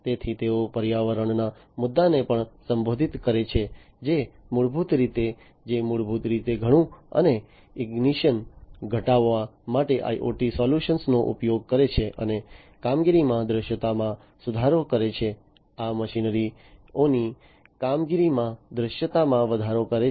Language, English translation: Gujarati, So, they are also into they are also addressing the issue of environment, which will basically, which is basically the use of IoT solutions for reduced dust and ignition, and improving the visibility in the operations, increasing the visibility in the operations of these machinery